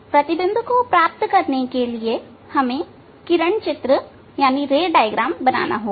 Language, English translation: Hindi, For getting the image we must; we must draw the ray diagram